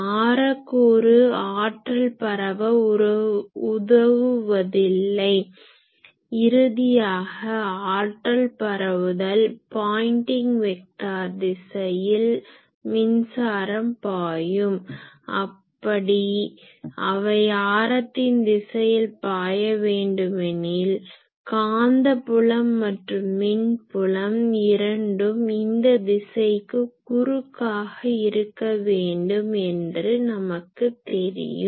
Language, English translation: Tamil, Because, radial component does not contribute to the power flow, we have seen that those ultimately power flow Pointing vector in which the direction the current is flowing, if we want that it should flow in the radial direction then both electric field and magnetic field they should be transverse to these direction